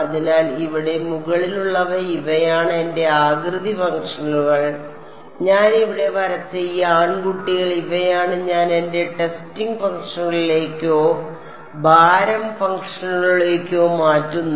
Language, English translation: Malayalam, So, these above over here these are my shape functions and these guys that I have drawn over here these are what I will make into my testing functions or weight functions